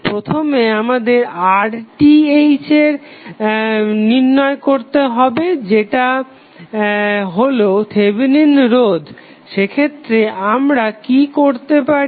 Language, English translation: Bengali, First, we have to solve for R Th that is Thevenin resistance, in that case what we can do